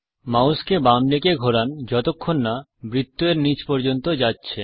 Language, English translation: Bengali, Now turn the mouse to the left, until at the bottom of the circle